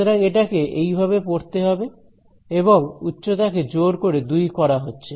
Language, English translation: Bengali, So, it is going to be read like this and this height is being forced to be 2